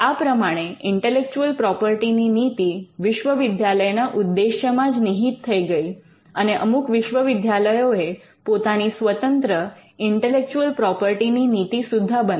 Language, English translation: Gujarati, So, the intellectual property policy was also embedded in the mission statements of these universities and some universities also created their own intellectual property policy